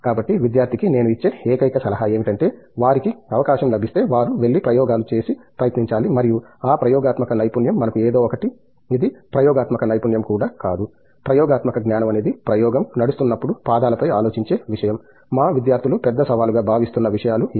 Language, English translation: Telugu, So, my only advice to the student is, if they get a chance they have to go and try and run experiments and that experimental skill is something that we, it’s not even a experimental skill that experimental sense is something that thinking on feet while running the experiment, those are the things I think our students find it big challenging